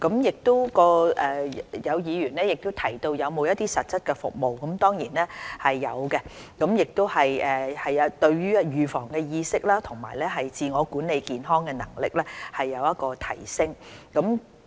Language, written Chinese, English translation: Cantonese, 有議員問及中心有否實質的服務，這當然是會有的，希望服務能對於市民預防的意識和自我管理健康的能力有所提升。, Some Members asked if the Centres will provide actual services and certainly they will . I hope the services can enhance public awareness of disease prevention and their ability in self - management of health